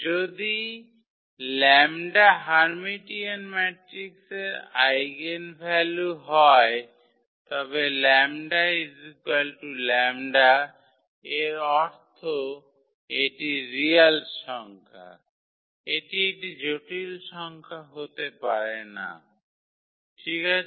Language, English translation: Bengali, So, if lambda is the eigenvalue of Hermitian matrix, then the lambda is equal to lambda bar meaning it is a real number, it cannot be a complex number ok